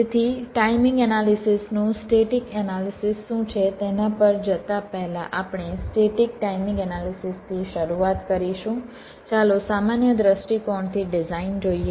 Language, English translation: Gujarati, ok, before going into what static ana analysis of timing analysis is, let us look at a design from a general perspective